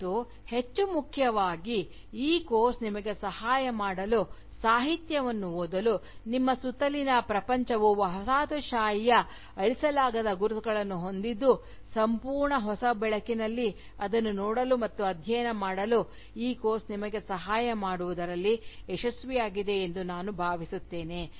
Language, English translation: Kannada, And, more importantly, I hope, this course has been able to help you, look at Literature, as well as, the World around you, which bears indelible marks of Colonialism, in a whole new light